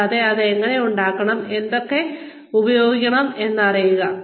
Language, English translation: Malayalam, And know, how to make it, which ones to make use of